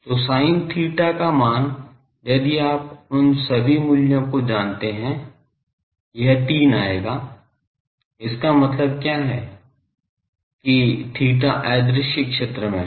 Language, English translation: Hindi, So, sin theta value if you put you know all these values, it will come to the 3 what does that means, that theta is in the invisible zone